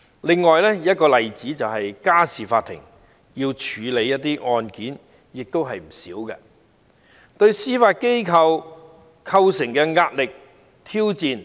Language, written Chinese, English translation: Cantonese, 另一個例子是家事法庭，須處理的案件也不少，對司法機構造成龐大的壓力和挑戰。, Another example is the Family Court . Its excessive case backlog has placed enormous pressure and challenges on the Judiciary